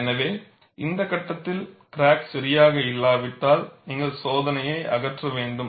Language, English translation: Tamil, So, at this stage, if the crack is not alright, then you have to scrap the test; then you have to redo the test